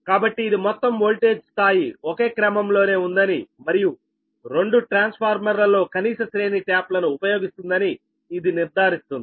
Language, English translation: Telugu, so as this ensures that the overall voltage level remains the same order and that the minimum range of taps on both transformer is used